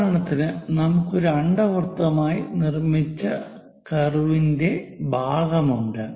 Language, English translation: Malayalam, For example, part of the curve we have constructed as an ellipse